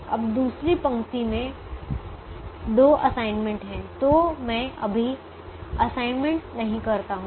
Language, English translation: Hindi, the second row has two assignments, so i don't make an assignment right now